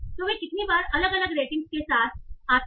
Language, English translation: Hindi, So, how often do they occur with different review ratings